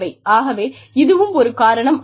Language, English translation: Tamil, But, that is one reason